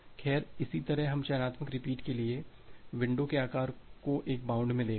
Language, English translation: Hindi, Well, similarly we look into a bound on the window size for selective repeat